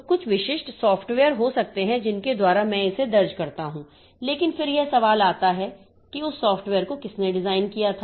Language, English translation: Hindi, So, there may be some specific software by which I enter it, but then the question comes who designed that software